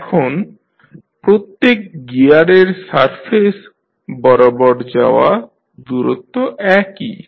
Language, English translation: Bengali, Now, the distance travelled along the surface of each gear is same